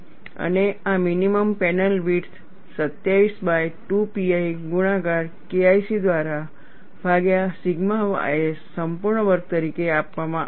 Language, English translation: Gujarati, And this minimum panel width is given as 27 by 2pi multiplied by K 1 C divided by sigma y s whole squared